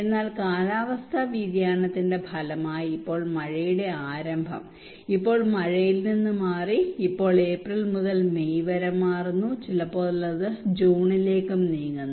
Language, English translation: Malayalam, But as a result of climate change the rain now the onset of rainfall now moved from rain now move from April to May, sometimes it moves to June even